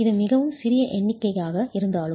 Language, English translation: Tamil, It is a very small number though